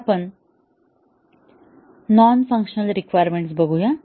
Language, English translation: Marathi, So, we look at the non functional requirements